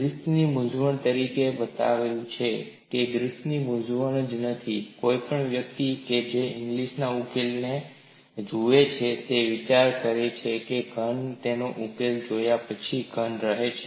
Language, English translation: Gujarati, This is labeled as Griffith's dilemma, it is not only the dilemma of Griffith's, any one who looks at the solution of Inglis would only wonder how the solid remains a solid after looking at a solution